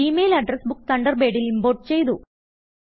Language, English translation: Malayalam, The Gmail Address Book is imported to Thunderbird